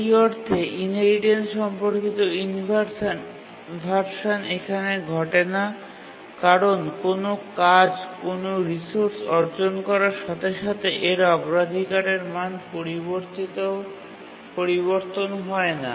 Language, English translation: Bengali, The inheritance related inversion in that sense does not occur here because as soon as a task acquires a resource its priority value does not change